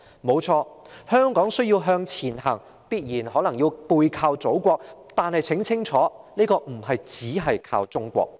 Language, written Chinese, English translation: Cantonese, 香港誠然是需要向前行，也必然要背靠祖國，但很清楚的是，香港不能只是靠中國。, Honestly Hong Kong needs to move forward and we must leverage on our Motherland yet it is crystal clear that Hong Kong cannot rely on China solely